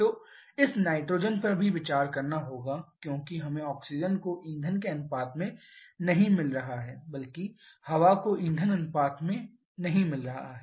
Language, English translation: Hindi, So, this nitrogen also has to be considered because we are not getting oxygen to fuel ratio rather or air to fuel ratio